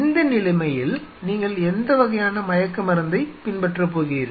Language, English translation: Tamil, So, in that case what kind of anesthesia you are going to follow